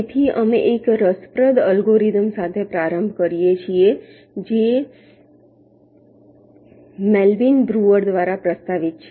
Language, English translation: Gujarati, so we start with an interesting algorithm which is proposed by melvin breuer